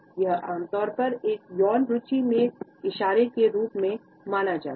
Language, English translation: Hindi, It is commonly perceived as a gesture of sexual interest